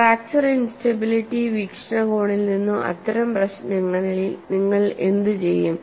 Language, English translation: Malayalam, So, in such problems from fracture instability point of view, what you will have to do